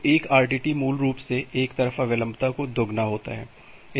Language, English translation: Hindi, So, a RTT is basically twice the one way latency